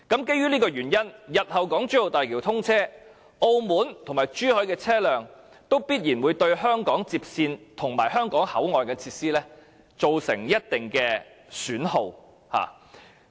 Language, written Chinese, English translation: Cantonese, 基於上述原因，日後當港珠澳大橋通車後，澳門和珠海的車輛必然會對香港接線及香港口岸設施造成一定損耗。, Based on this reason when the HZMB is open to traffic vehicles from Macao and Zhuhai will surely cause a certain degree of wear and tear to the HKLR and the boundary crossing facilities